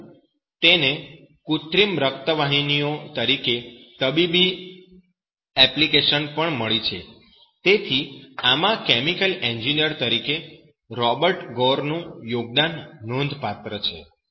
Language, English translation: Gujarati, But it also has found medical application as synthetic blood vessels, so in this Robert Gore’s contribution as a chemical engineer is remarkable